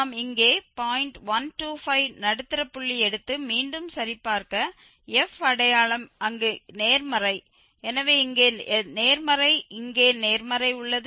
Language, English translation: Tamil, 125 and check again the sign of the f is positive there so here is positive here is positive